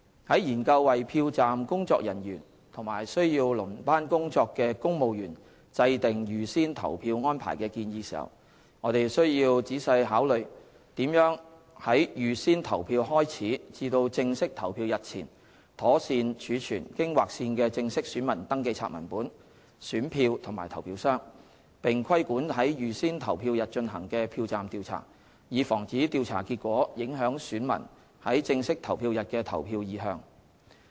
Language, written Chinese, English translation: Cantonese, 在研究為票站工作人員及需要輪班工作的公務員制訂預先投票安排的建議時，我們須仔細考慮如何在預先投票開始至正式投票日前，妥善儲存經劃線的正式選民登記冊文本、選票及投票箱，並規管在預先投票日進行的票站調查，以防止調查結果影響選民在正式投票日的投票意向。, While examining the proposal on formulating advance polling arrangements for civil servants who serve as polling staff and who are on shift we must carefully consider the storage and safe - keeping of the marked copies of the final register ballot papers and ballot boxes between the commencement of advance polling and the actual polling day and how to regulate exit polls conducted on the advance polling day so as to prevent electors voting preference on the actual polling day from being influenced by the results of these exit polls